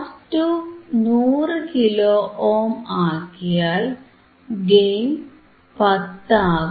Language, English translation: Malayalam, 1 R 1 is 10 kilo ohm, gain is 0